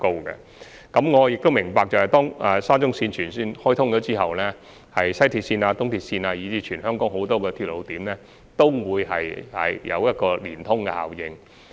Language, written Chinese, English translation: Cantonese, 我亦明白到，當沙中綫全線開通後，西鐵綫、東鐵綫以至全港很多鐵路點均會出現聯通效應。, I also understand that an interconnecting effect will be achieved among WRL EAL and many places served by railway lines in Hong Kong upon the full commissioning of SCL